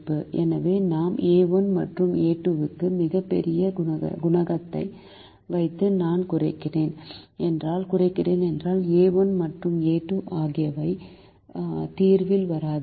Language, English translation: Tamil, so if i put a very large coefficient for a one and a two and i am minimizing, it is very likely that a one and a two will not come in the solution